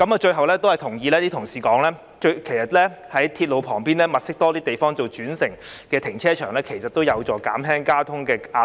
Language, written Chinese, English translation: Cantonese, 最後，我同意一些同事所說，在鐵路旁邊多物色地方作泊車轉乘用途的停車場，有助減輕交通壓力。, Lastly I agree as some Honourable colleagues said identifying more sites next to the railways to serve as car parks for park - and - ride can help ease the traffic pressure